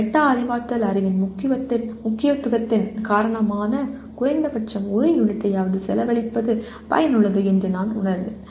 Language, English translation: Tamil, I felt spending, because of the importance of metacognitive knowledge it is worthwhile spending at least one unit on this